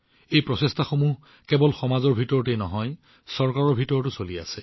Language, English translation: Assamese, These efforts are being made not only within the society but also on part of the government